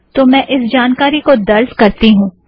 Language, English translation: Hindi, So I enter this information